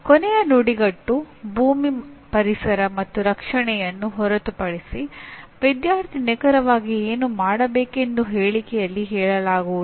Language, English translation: Kannada, Except the last phrase, earth environment and protection, the statement does not even say what exactly the student is supposed to be doing